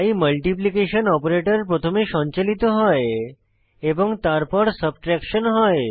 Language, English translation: Bengali, So the multiplication opertion is performed first and then subtraction is performed